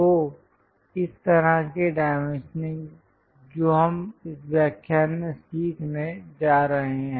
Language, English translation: Hindi, So, this kind of dimensioning which we are going to learn it in this lecture